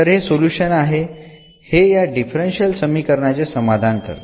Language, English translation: Marathi, So, this is the solution this was satisfy this differential equation